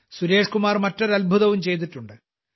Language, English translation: Malayalam, Suresh Kumar ji also does another wonderful job